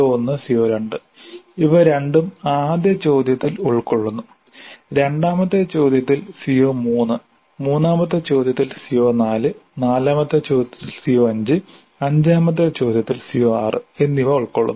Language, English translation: Malayalam, CO1 and CO2, both of them are covered in the first question and CO3 is covered in the second question, CO4 in the third question, CO5 in the fourth question, CO6 in the third question, CO5 in the fourth question, CO 6 in the fifth question